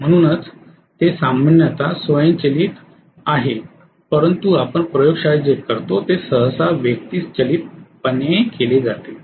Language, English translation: Marathi, So that is the reason why it is generally automated but what we do in the laboratory generally is done manually